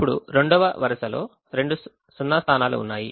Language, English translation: Telugu, now the second row has two zero positions, the